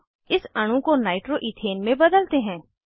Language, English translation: Hindi, Now let us convert this molecule to nitro ethane